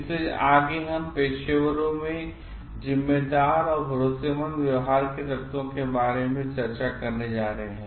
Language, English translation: Hindi, So, next we are going to discuss about elements to responsible or trustworthy behaviour in professionals